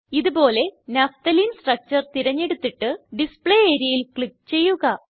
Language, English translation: Malayalam, Likewise lets select Naphtalene structure and click on the Display area